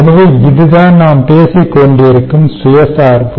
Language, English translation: Tamil, so therefore, thats the self dependence we are talking about